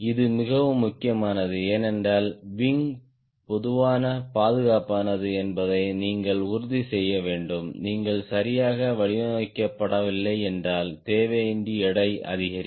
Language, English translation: Tamil, this is extremely important because you have to ensure that wing is safe enough, right and if you are not properly designed, the weight unnecessarily will increase